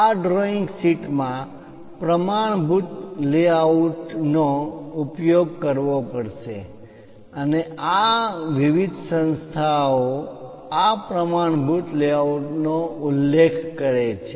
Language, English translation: Gujarati, In this drawing sheet layout standard layouts has to be used and these standard layouts are basically specified by different organizations